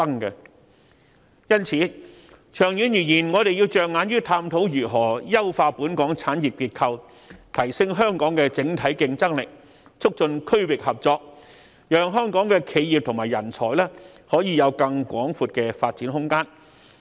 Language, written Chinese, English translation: Cantonese, 因此，長遠而言，我們要着眼於探討如何優化香港產業結構，提升香港整體競爭力，促進區域合作，讓香港企業及人才可以有更廣闊的發展空間。, Hence in the long run we must identify ways to enhance our industrial structure boost our overall competitiveness and promote regional cooperation thereby providing wider horizons of development for enterprises and talents in Hong Kong